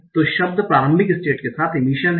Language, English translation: Hindi, So the words are the emissions